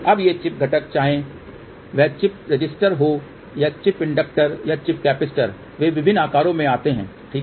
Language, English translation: Hindi, Now, these chip components whether it is a chip resistor or chip inductor capacitor they come in different sizes, ok